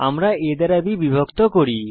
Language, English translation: Bengali, We divide a by b